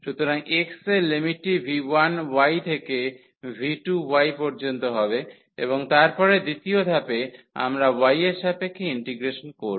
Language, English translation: Bengali, So, the limit of x will be from v 1 y to v 2 y and then in the second step we will do the integration with respect to y